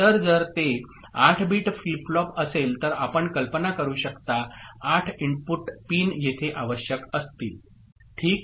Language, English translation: Marathi, So, if it is a 8 bit flip flop so you can imagine, 8 input pins will be required here – ok